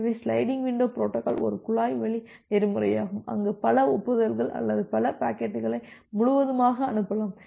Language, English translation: Tamil, So, sliding window protocols are a pipe line protocol where you can send multiple frames or multiple packets altogether without waiting for the corresponding acknowledgement